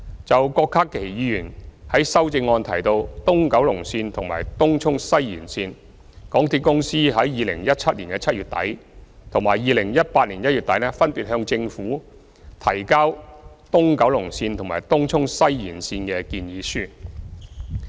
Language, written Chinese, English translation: Cantonese, 就郭家麒議員在修正案提到東九龍線和東涌西延線，港鐵公司於2017年7月底和2018年1月底分別向政府提交東九龍線和東涌西延線的建議書。, As for the East Kowloon Line and the Tung Chung West Extension mentioned in Dr KWOK Ka - kis amendment MTRCL submitted proposals for these two railway projects to the Government in end July 2017 and end January 2018 respectively